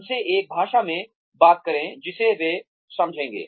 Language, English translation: Hindi, Talk to them in a language, that they will understand